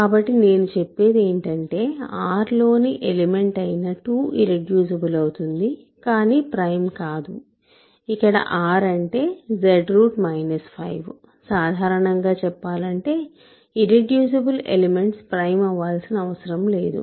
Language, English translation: Telugu, So, I am claiming that the element 2 in the ring R which is Z adjoined square root minus 5 is irreducible, but not prime so, in general in other words irreducible elements need not be prime